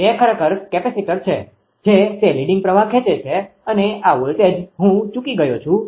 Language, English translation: Gujarati, The it is actually capacitor it is leading current and this voltage I have missed it